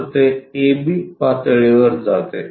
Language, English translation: Marathi, So, it goes to a b level